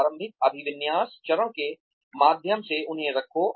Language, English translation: Hindi, Put them through the initial orientation phase